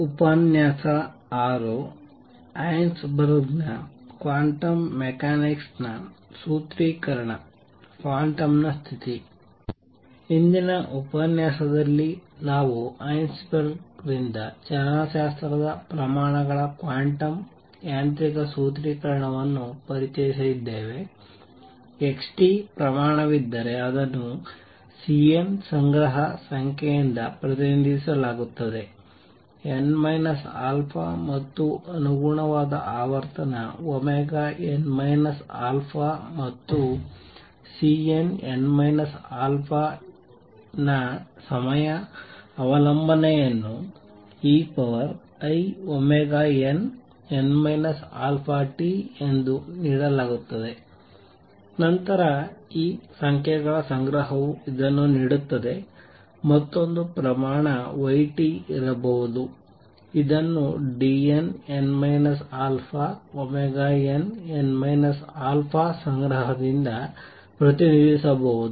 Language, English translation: Kannada, In the previous lecture, we introduced the quantum mechanical formulation of kinematic quantities by Heisenberg, we said if there is a quantity x t it is represented by a collections number C n, let’s say n minus alpha and the corresponding frequency omega n, n minus alpha and the time dependence of C n, n minus alpha is given as e raise to i omega n, n minus alpha t, then this collection of numbers gives this, there could be another quantity y t which can be represented by collection of D n, n minus alpha omega n, n minus alpha and there I said that x t y t is not equal to y t x t